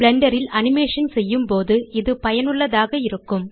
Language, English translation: Tamil, It is useful when animating in Blender